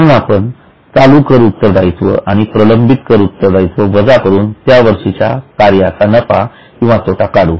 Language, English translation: Marathi, So, we will deduct current taxes and defer taxes to get profit or loss for the year from continuing operations